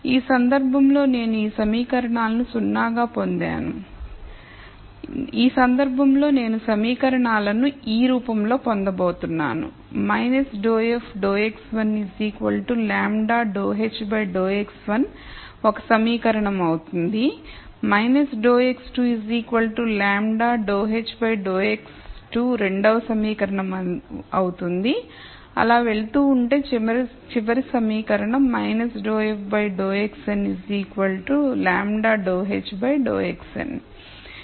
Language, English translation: Telugu, In this case I got these equations to be 0 in this case I am going to get equations of the form minus dou f dou x 1 equals lambda dou h dou x 1 will be one equation, the second equation will be minus dou x 2 equals lambda dou h dou x 2 and so on, the last equation will be minus dou f duo x n equals lambda h dou x n